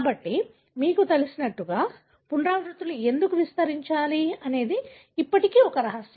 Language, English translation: Telugu, So, why should, you know, repeats expand, is a mystery still